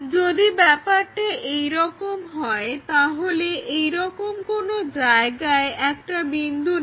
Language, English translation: Bengali, So, if that is the case pick a point here somewhere from there